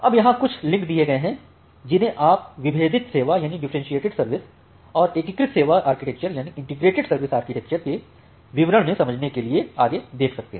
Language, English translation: Hindi, Now, here are certain links that you can look further to understand in details the differentiated service and the integrated service architecture